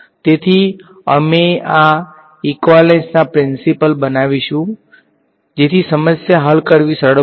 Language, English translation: Gujarati, So, we will construct these equivalence principles such that the problem becomes easier to solve ok